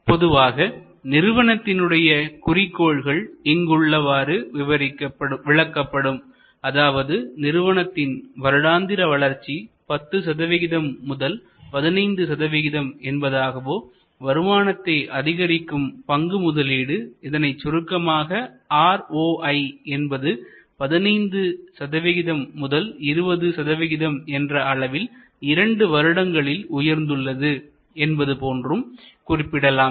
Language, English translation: Tamil, Normally or popularly, objectives are define like this, that increase earnings growth from 10 to 15 percent per year or boost return on equity investment in short often called ROI, from 15 to 20 percent in 2 years or something like that